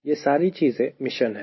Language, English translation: Hindi, these all mission